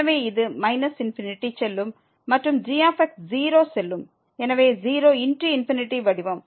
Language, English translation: Tamil, So, this will go to minus infinity and goes to 0 so, 0 into infinity form